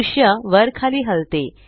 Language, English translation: Marathi, The view rotates downwards